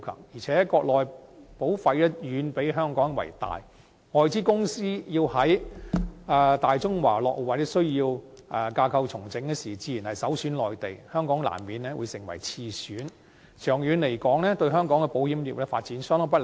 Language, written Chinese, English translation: Cantonese, 而且，國內保費總額遠比香港為大，外資公司要在大中華落戶或需要架構重組時，自然首選內地，香港難免會成為次選，長遠而言，對香港保險業的發展相當不利。, In addition since the total amount of premiums on the Mainland is far higher than that in Hong Kong foreign - invested companies naturally choose the Mainland instead of Hong Kong for establishing their presence in Greater China or when conducting organizational restructuring . This will be detrimental to the development of the Hong Kong insurance industry in the long run